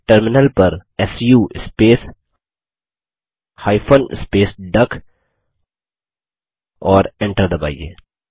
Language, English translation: Hindi, Enter the command su space hyphen space duck on the Terminaland press Enter